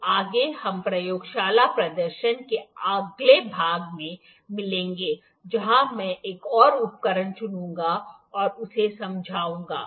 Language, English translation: Hindi, So, next we will meet in the next part of the laboratory demonstration only I will pick another instrument and explain that